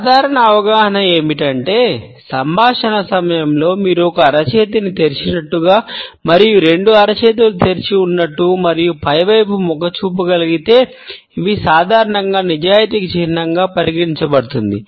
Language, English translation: Telugu, The normal understanding is that if during the dialogue, you are able to perceive one palm as being open as well as both palms as being open and tending towards upward, it is normally considered to be a sign of truthfulness and honesty